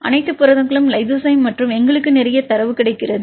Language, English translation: Tamil, So, all the proteins lysozyme and we get lot of data